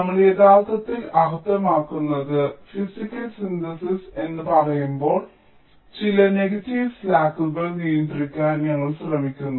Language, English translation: Malayalam, that when we say physical synthesis what we actually mean is we are trying to adjust, a control some of the negative slacks